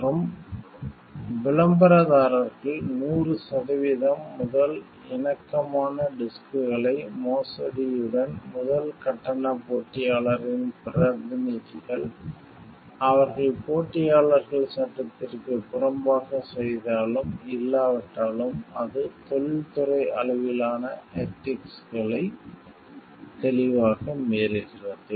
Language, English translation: Tamil, And advertisers the disks as 100 percent first compatible, representatives of the first charge competitor with forgery, they maintain that whether or not competitors practices illegal, it clearly violates industry wide ethics